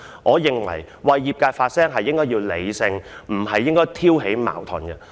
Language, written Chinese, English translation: Cantonese, 我認為議員為業界發聲應該要理性而不是挑起矛盾。, I consider that Members should be sensible when speaking up for their trades instead of provoking conflicts